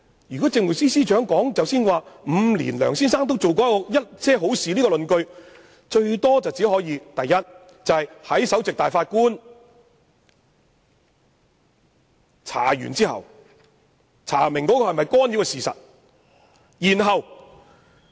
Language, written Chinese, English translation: Cantonese, 主席，政務司司長有關梁先生在5年內做過一些好事的論點，最多可以應用在首席法官完成調查干預是否屬實後。, President the Chief Secretarys argument concerning the good deeds done by Mr LEUNG can at most be considered after the completion of the investigation by the Chief Justice into the alleged interference